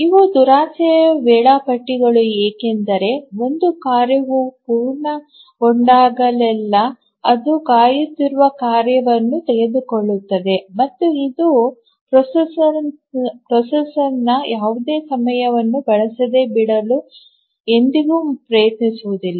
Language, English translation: Kannada, These are grid schedulers because whenever a task completes it takes up the task that are waiting and it never tries to leave any time the processor onutilized